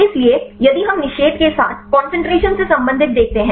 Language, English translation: Hindi, So, here if we see relate to the concentration with the inhibition